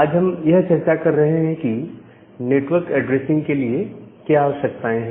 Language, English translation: Hindi, And we are discussing about the requirement for network addressing